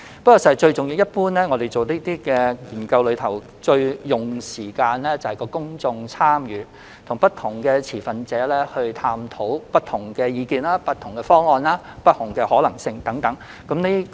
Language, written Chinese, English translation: Cantonese, 事實上，類似研究最花時間的部分是公眾參與，當中涉及探討不同持份者的不同意見、方案和可能性等。, As a matter of fact the most time - consuming task in similar studies is public engagement . It involves an examination of the various views and proposals put forth by different stakeholders and feasibility of such proposals